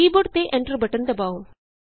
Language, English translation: Punjabi, Press the Enter key on the keyboard